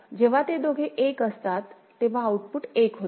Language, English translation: Marathi, So, when both of them are 1 then the output is 1